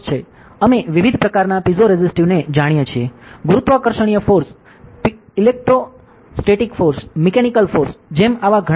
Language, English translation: Gujarati, We know different kind of force; gravitational force, electrostatic force, mechanical force such many of such stuff are there